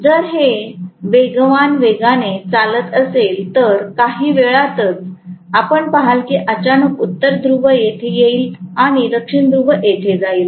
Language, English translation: Marathi, If it is running at a high speed, within no time, you are going to see that suddenly North Pole comes here and South Pole comes here